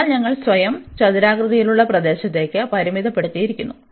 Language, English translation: Malayalam, So, we have taken we have restricted our self to the rectangular region